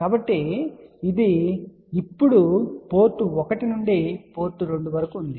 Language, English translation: Telugu, So, this is now, from port 1 to port 2